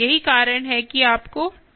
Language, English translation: Hindi, this is why you have to put the tip mass